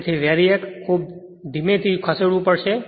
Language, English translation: Gujarati, So, that VARIAC you have to move it very slowly